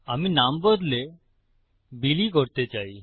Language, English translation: Bengali, I want to change the name to Billy